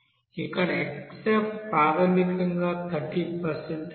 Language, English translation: Telugu, Here xF is basically here 30% that is 0